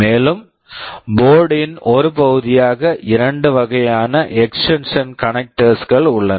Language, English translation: Tamil, And, there are two types of extension connectors that are available as part of the board